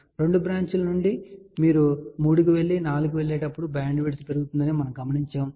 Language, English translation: Telugu, And we had noticed that from two branches if you go to 3 and then when we go to 4 bandwidth increases